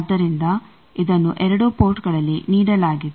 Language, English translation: Kannada, So, it is given at both ports